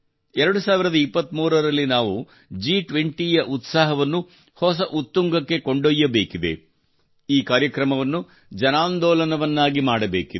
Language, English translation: Kannada, In the year 2023, we have to take the enthusiasm of G20 to new heights; make this event a mass movement